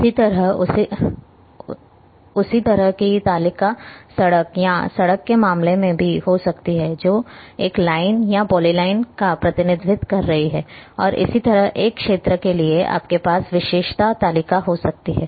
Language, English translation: Hindi, Similarly, the same similarly kind of table can also be in case of a road or a street which is representing a line or polyline and similarly for an area you can have attribute table